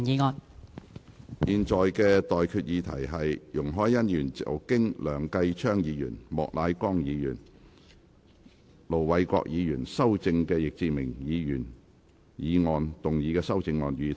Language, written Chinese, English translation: Cantonese, 我現在向各位提出的待議議題是：容海恩議員就經梁繼昌議員、莫乃光議員及盧偉國議員修正的易志明議員議案動議的修正案，予以通過。, I now propose the question to you and that is That Ms YUNG Hoi - yans amendment to Mr Frankie YICKs motion as amended by Mr Kenneth LEUNG Mr Charles Peter MOK and Ir Dr LO Wai - kwok be passed